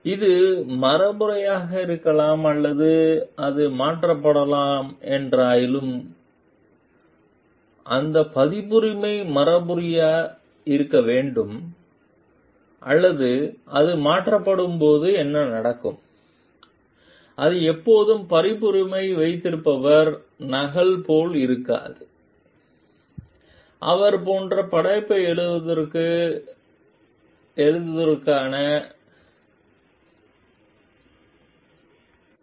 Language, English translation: Tamil, It may be inherited or it may be transferred however so, what happens when that copyright is inherited or it is transferred, it may not always be like the copyright holder is the person, who has the credit for authoring the work like